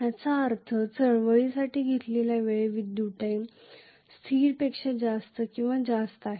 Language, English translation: Marathi, Which means the time taken for movement is actually greater than or much higher than the electrical time constant